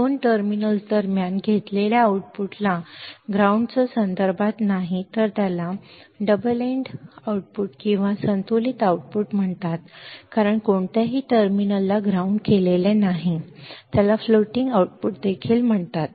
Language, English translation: Marathi, The output taken between two terminals and not with respect to the ground is called double ended output or balanced output as none of the terminals is grounded it is also called floating output